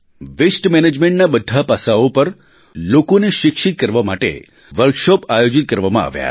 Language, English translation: Gujarati, Many Workshops were organized to inform people on the entire aspects of waste management